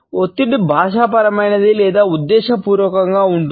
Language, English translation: Telugu, The stress can be either a linguistic one or a deliberate one